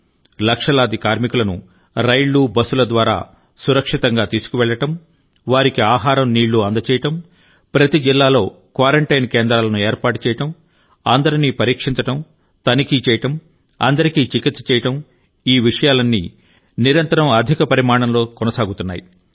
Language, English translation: Telugu, Safely transporting lakhs of labourers in trains and busses, caring for their food, arranging for their quarantine in every district, testing, check up and treatment is an ongoing process on a very large scale